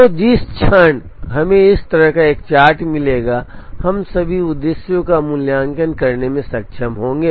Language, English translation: Hindi, So the moment we get a chart like this we will be able to evaluate all the objectives